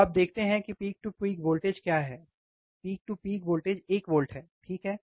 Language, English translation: Hindi, So, you see what is the peak to peak voltage, peak to peak voltage is one volts, right, you see there is a 1 volt